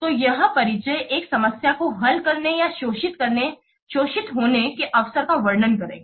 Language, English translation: Hindi, So this introduction will describe a problem to be solved or an opportunity to be exploited